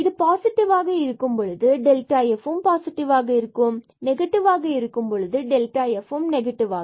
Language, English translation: Tamil, So, if h is positive with the delta f is negative h is negative then delta f is positive